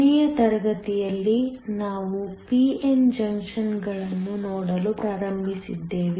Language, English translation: Kannada, Last class, we started looking at p n junctions